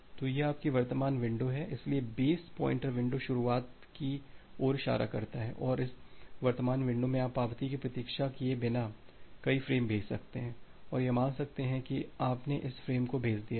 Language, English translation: Hindi, So, this is the this is your current window so, the base pointer points to the start of the window and in this current window you can send multiple frames without waiting for the acknowledgement and assumed that you have sent up to this frames